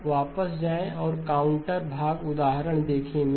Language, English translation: Hindi, Now go back and look at the counterpart example